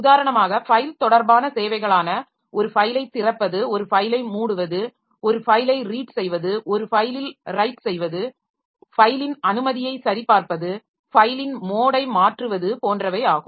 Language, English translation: Tamil, For example, file related services, open a file, close a file, read a file, write onto a file, check the permission of a file, change the mode of a file